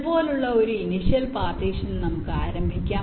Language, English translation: Malayalam, lets start with an initial partition like this